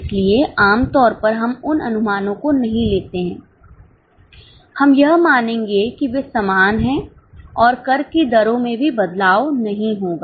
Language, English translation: Hindi, So, normally we do not take those projections here, we will assume that they are same and tax rates are also not going to change